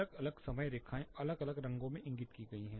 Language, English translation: Hindi, Different time lines indicated in different colors